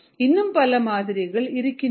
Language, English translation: Tamil, there are many models